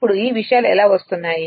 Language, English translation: Telugu, Now how these things are coming